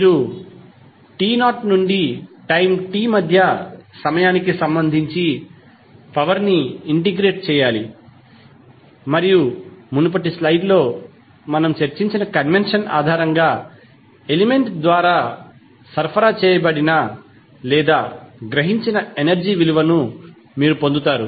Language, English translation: Telugu, You have to just simply integrate the power with respect to time between t not to t and you will get the value of energy supplied or absorbed by the element based on the convention which we discussed in the previous slide